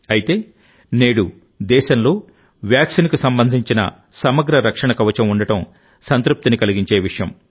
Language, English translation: Telugu, However, it is a matter of satisfaction that today the country has a comprehensive protective shield of a vaccine